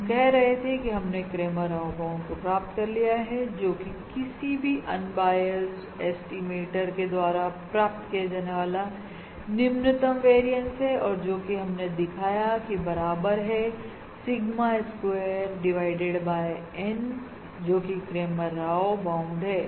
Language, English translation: Hindi, So we are saying we have derived the Cramer Rao bound, which is the minimum variance achievable by in any unbiased estimator and that we have demonstrated is equal to Sigma square divided by N